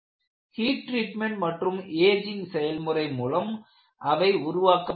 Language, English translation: Tamil, They are purposefully developed by heat treatment and ageing